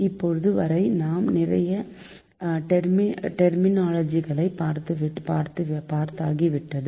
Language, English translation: Tamil, so still now, we have seen so many terminology